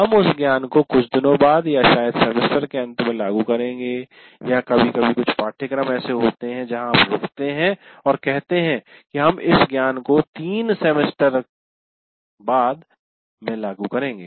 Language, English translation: Hindi, You cannot say I'm explaining now, we'll apply this knowledge, let's say a few days later, or maybe end of the semester, or sometimes there are some courses where you stop and say, we'll apply this knowledge in a course three semesters later